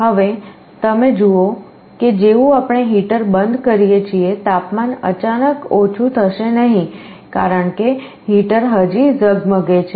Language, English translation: Gujarati, Now you see as soon as we turn off the heater, the temperature suddenly does not start to fall because, heater is already glowing